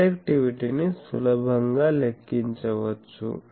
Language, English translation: Telugu, Directivity can be easily calculated